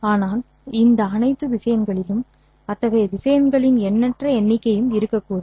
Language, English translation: Tamil, But in all these vectors and there could of course be an infinite number of such vectors